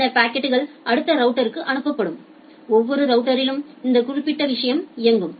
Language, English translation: Tamil, And then the packet will be sent to the next router, and in every router this particular thing will run